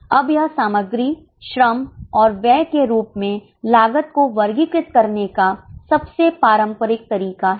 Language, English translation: Hindi, Now, this is the most traditional way of classifying as material, labour and expense